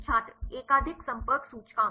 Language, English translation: Hindi, And the multiple contact index